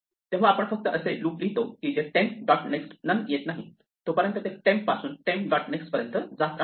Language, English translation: Marathi, So, we just write a loop which says while temp dot next is not none just keep going from temp to temp dot next